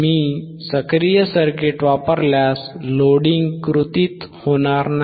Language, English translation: Marathi, iIf I use active circuit, the loading will not come into play, correct